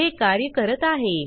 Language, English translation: Marathi, it is working